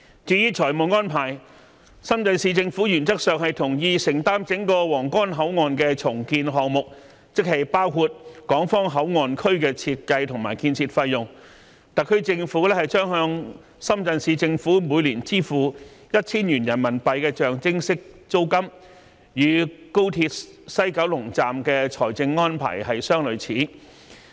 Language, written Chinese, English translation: Cantonese, 至於財務安排，深圳市政府原則上同意承擔整個皇崗口岸重建項目，即包括港方口岸區的設計及建設費用，特區政府將向深圳市政府每年支付 1,000 元人民幣象徵式租金，與高鐵西九龍站的財政安排相類似。, As to the financial arrangement the Shenzhen Municipal Government agrees in principle that it will take the sole responsibility of the entire Huanggang Port redevelopment project including the design and construction costs of the Hong Kong Port Area . The SAR Government will only need to pay the Shenzhen Municipal Government a nominal rent of RMB1,000 on a yearly basis which is similar to the financial arrangement for the Express Rail Link West Kowloon Terminus